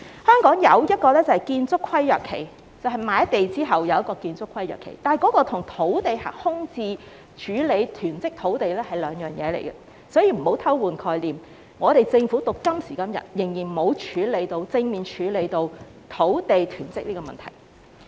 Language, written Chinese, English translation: Cantonese, 香港則只設建築規約限期，即買地後有建築規約限期，但這與處理土地空置及囤積土地是兩回事，所以不要偷換概念，政府直至今時今日仍沒有正面處理土地囤積的問題。, In Hong Kong only a Building Covenant period is imposed that is the land bought is subject to a Building Covenant period . However this is totally different from handling idle land and land hoarding . So please do not tamper with concepts